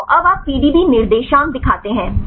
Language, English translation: Hindi, So, now you show the PDB coordinates right